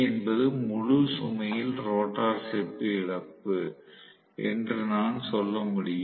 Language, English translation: Tamil, So, this will give me what is the rotor copper loss